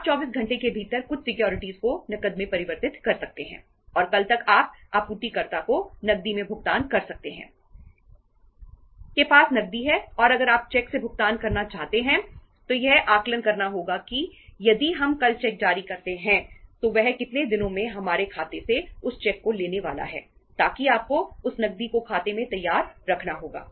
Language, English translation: Hindi, You can convert some of the securities into cash within 24 hours and by tomorrow you can if you have to make the payment of say that payment to the supplier in cash you have the cash with you and if you uh want to pay a cheque then you have to assess that if we issue a cheque tomorrow then in how many days he is going to collect that cheque from our account so you have to keep that cash ready in the in the account